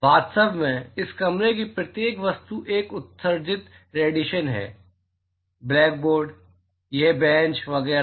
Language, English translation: Hindi, In fact, every object in this room is a is emitting radiation: blackboard, this bench, etcetera